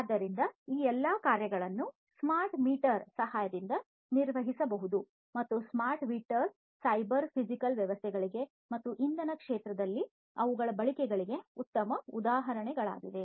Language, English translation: Kannada, So, all of these things can be performed with the help of smart meters and smart meters are good examples of cyber physical systems and their use in the energy sector